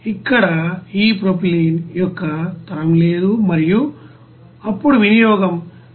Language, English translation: Telugu, Here there is no generation of this propylene and then consumption will be 184